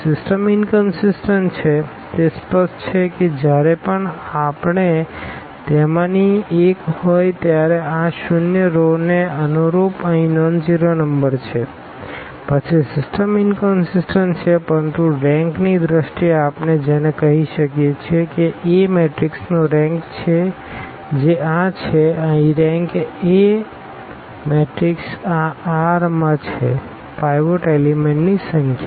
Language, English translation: Gujarati, The system is inconsistent, that is clear whenever we have one of them is a nonzero number here corresponding to this zero rows then the system is inconsistent, but in terms of the rank what we can call that the rank of A matrix which is this one here the rank of A matrix this one it is this r, the number of pivot elements